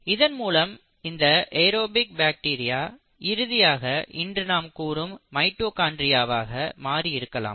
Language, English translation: Tamil, And this aerobic bacteria eventually ended up becoming what we call today’s mitochondria